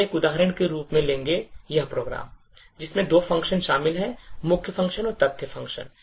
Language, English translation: Hindi, So we will take as an example, this particular program, which comprises of two functions, a main function and fact function